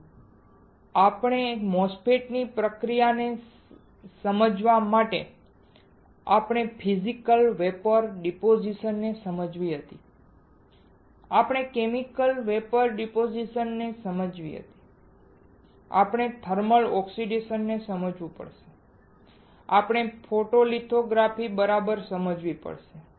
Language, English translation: Gujarati, So, to understand the process of our MOSFET we had to understand Physical Vapor Deposition, we had to understand Chemical Vapor Deposition, we have to understand thermal oxidation, we have to understand photolithography alright